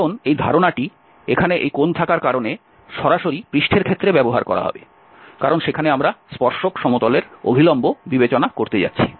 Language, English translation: Bengali, Because this concept here having this angle will be directly translated for the case of surface, because there we are going to consider the normal to the tangent plane